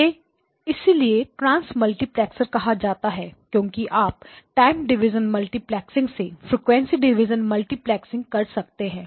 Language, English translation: Hindi, So this is why the name transmultiplexer is given because you went from time division multiplexing or time domain multiplexing to frequency domain multiplexing, frequency division multiplexing